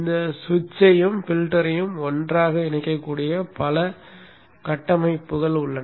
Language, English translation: Tamil, There are many configurations in which this switch and the filter can be put together